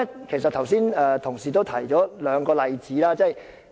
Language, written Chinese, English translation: Cantonese, 其實，剛才同事已提出兩個例子。, Our Honourable colleagues have actually cited two examples earlier